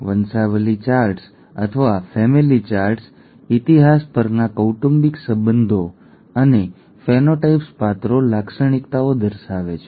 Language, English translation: Gujarati, Pedigree charts or family charts show the family relationships over history and phenotypes characters, characteristics